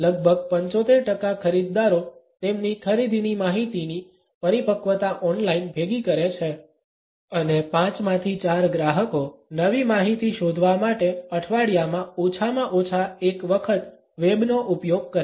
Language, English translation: Gujarati, Nearly 75 percent of the buyers gather the maturity of their purchasing information online and four fifths of the customers use the web at least once a week to search for new information